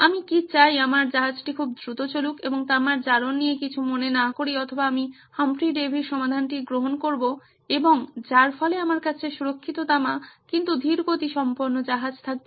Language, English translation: Bengali, Do I want my ship to go very fast and never mind the corrosion of copper or Do I go with Humphry Davy solution and have beautiful copper but a slow ship